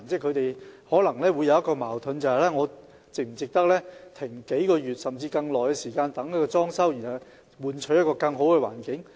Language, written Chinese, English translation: Cantonese, 他們可能會覺得矛盾，是否值得停業數月，甚至更長時間進行裝修，以換取一個更佳的環境？, Stall owners may find themselves caught in a dilemma is it worth stop operating for a few months or even a longer period of time to carry out renovation works for a better environment?